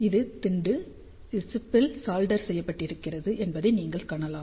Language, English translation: Tamil, So, you can see that this is the pad where the chip is soldered